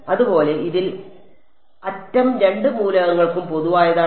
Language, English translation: Malayalam, Similarly in this the edge is common to both elements